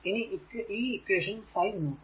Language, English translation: Malayalam, So, this is equation 5, right